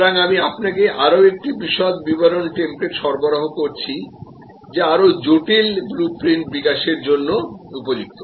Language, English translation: Bengali, So, I provide you with another more detail template, which is suitable therefore, for developing a more complex blue print